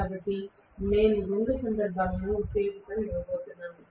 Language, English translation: Telugu, So I am going to give excitation in both the cases